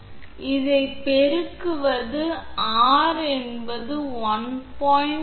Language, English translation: Tamil, So, multiple this one it will be R will be equal to 1